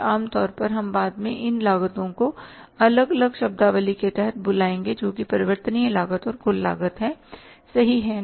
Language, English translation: Hindi, Normally we will be calling later on these costs as under the different terminology that is the variable cost and the total cost